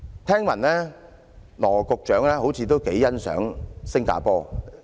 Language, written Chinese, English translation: Cantonese, 聽聞羅局長似乎頗欣賞"獅城"新加坡。, I have heard that Secretary Dr LAW seems to admire the Lion City of Singapore a lot